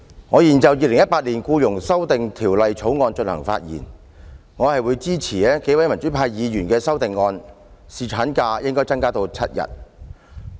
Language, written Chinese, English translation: Cantonese, 我現就《2018年僱傭條例草案》發言，我會支持多位民主派議員提出的修正案，把侍產假增至7天。, I now speak on the Employment Amendment Bill 2018 and I support the amendments proposed by several Members from the pro - democracy camp to increase the duration of paternity leave to seven days